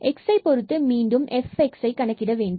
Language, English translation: Tamil, So, we need to compute the fx